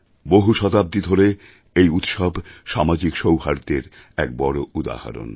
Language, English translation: Bengali, For centuries, this festival has proved to be a shining example of social harmony